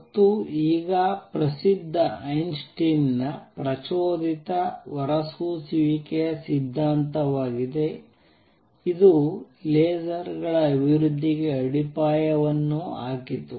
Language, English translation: Kannada, And is now famous Einstein’s theory of stimulated emission this also laid foundations for development of lasers